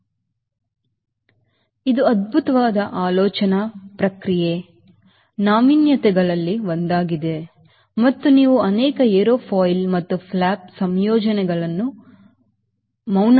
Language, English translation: Kannada, so this is one of the fantastic third process innovation and you will find may aerofoil and flap combinations are based on this